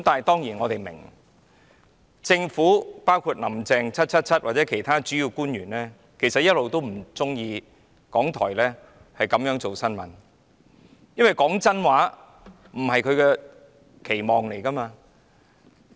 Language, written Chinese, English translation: Cantonese, 當然，我們也明白，政府、"林鄭 777" 或其他主要官員一直都不喜歡港台報道新聞的方法，因為說真話並非他們的期望。, Of course we understand that the Government and Carrie LAM 777 or other principal officials always dislike RTHKs approach in news reporting because speaking the truth is not their expectation